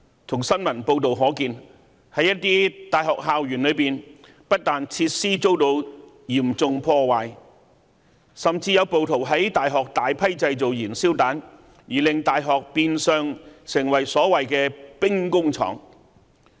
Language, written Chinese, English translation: Cantonese, 從新聞報道可見，在一些大學校園內，不但設施遭到嚴重破壞，甚至有暴徒在大學製造大量燃燒彈，而令大學變相成為所謂"兵工廠"。, We can see from news reports that on the campuses of some universities some facilities were vandalized and rioters even produced a large number of petrol bombs . They turned universities into weapon factories